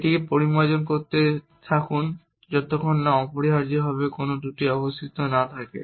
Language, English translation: Bengali, Keep refining it till there are no flaws left essentially